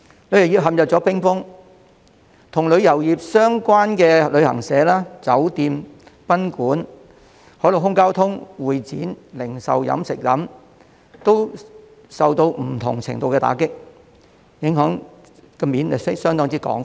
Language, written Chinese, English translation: Cantonese, 旅遊業陷入冰封，與旅遊業相關的旅行社、酒店、賓館、海陸空交通、會展、零售及飲食業，亦受到不同程度的打擊，影響相當廣泛。, The tourism industry has been frozen and the associated sectors such as travel agents hotels guesthouses landseaair transport conventions and exhibitions retails and catering have also been hit to different degrees . The impact has been widespread